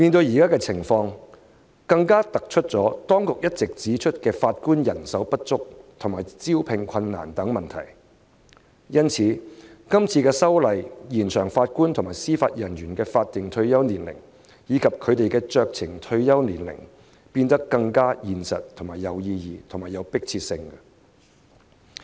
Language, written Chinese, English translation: Cantonese, 現時情況更凸顯當局一直指出的法官人手不足及招聘困難等問題，因此，政府提出《條例草案》，延展法官及司法人員的法定退休年齡及酌情退休年齡，有其意義及迫切性。, The present situation highlights the longstanding problems of shortage of judges and recruitment difficulties that have always been pointed out by the authorities . Hence it is meaningful and highly urgent for the Government to propose the Bill to extend the statutory retirement ages of Judges and Judicial Officers JJOs